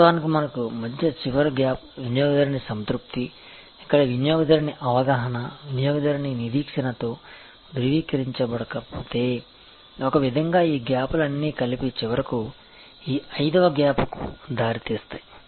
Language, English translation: Telugu, So, customer satisfaction, where if the customer perception is not in confirmative with customer expectation, so in a way all this gaps finally, lead to this fifth gap